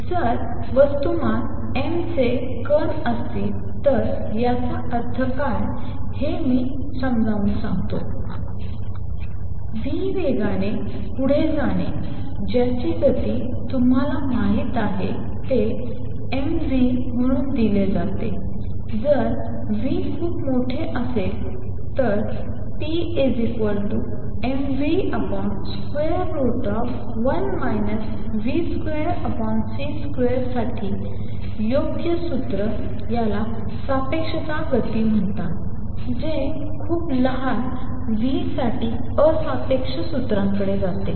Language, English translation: Marathi, Let me explain what is that mean if there is a particles of mass m moving with speed v whose momentum you know is given as m v if the v is very large the correct formula for p is m v over square root of 1 minus v square over c square this is known as relativistic momentum, which for very small v goes over to the non relativistic formula